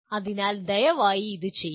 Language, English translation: Malayalam, So please do that